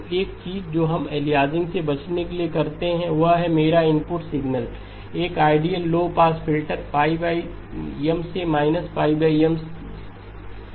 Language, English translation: Hindi, So one of the things that we would do for to avoid aliasing is to pass my input signal through an ideal low pass filter minus pi over M to pi over M